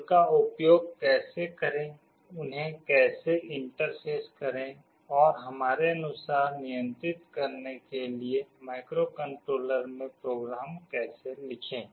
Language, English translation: Hindi, How to use them, how to interface them, and how to write a program in the microcontroller to control them in the way we want